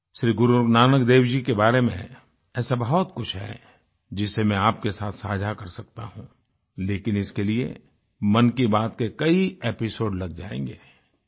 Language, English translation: Hindi, There is much about Guru Nanak Dev ji that I can share with you, but it will require many an episode of Mann ki Baat